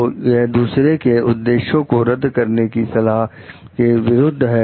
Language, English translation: Hindi, So, it advises against impugning the motives of others